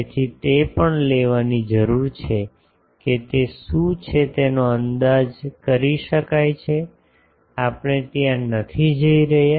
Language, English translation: Gujarati, So, that also need to be taken that what is that that can be estimated we are not going there